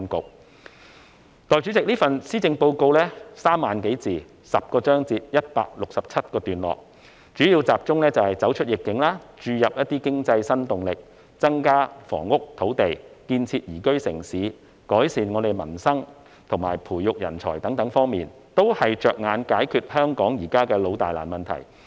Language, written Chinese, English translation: Cantonese, 代理主席，這份施政報告共3萬多字，分成有10個章節及167段，其內容主要集中走出逆境，注入經濟新動力，增加房屋與土地，建設宜居城市，改善民生，以及培育人才等方面，有關政策措施全是着眼於解決香港的老大難問題。, Deputy President divided into 167 paragraphs in 10 chapters this Policy Address of some 30 000 words focuses mainly on areas such as navigating through the epidemic adding new impetus to the economy increasing housing and land building a liveable city improving peoples livelihood and nurturing talents and all the relevant policy initiatives aim at resolving the perennial and thorny problems in Hong Kong